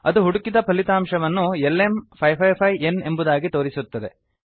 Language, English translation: Kannada, It will show the search result as LM555N